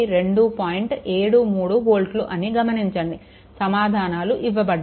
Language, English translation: Telugu, 73 volt, answers are given